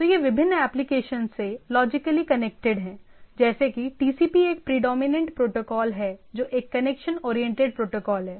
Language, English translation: Hindi, So it is logically connected to different applications, like as the TCP is the predominant protocol that is which is a connection oriented protocol